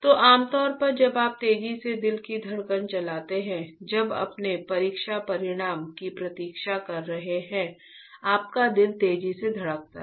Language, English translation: Hindi, So, generally when you run a heart beat faster right you are you are you are waiting for your exam results, your heart beat faster